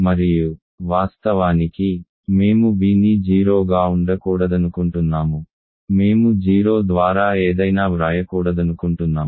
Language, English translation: Telugu, And of course, we do not want b to be 0, we do not want to write something by 0